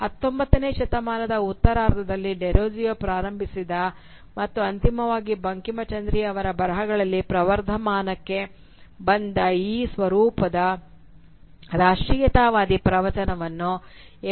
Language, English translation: Kannada, In the next lecture we will see how this form of nationalist discourse which was initiated by Derozio and which finally flourished in the writings of Bankimchandra during in the late 19th century is transformed by M